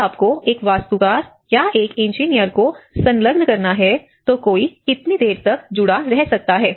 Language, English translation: Hindi, If you have to engage an architect or an engineer, how long one can engage